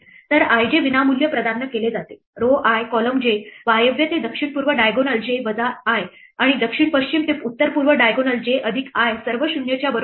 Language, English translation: Marathi, So, i j is free provided row i column j the north west to south east diagonal j minus i and the south west to north east diagonal j plus i are all equal to 0